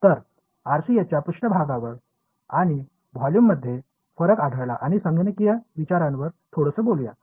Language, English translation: Marathi, So, differences between surface and volume found of the RCS and spoke a little about computational considerations